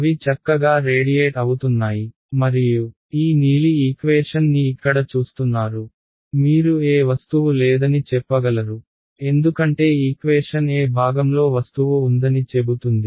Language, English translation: Telugu, They are nicely radiating and looking at this blue equation over here, you can tell that there is no object because which part of the equation tells you that there is no object